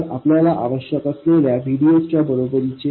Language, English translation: Marathi, So, this is equal to whatever VDS you need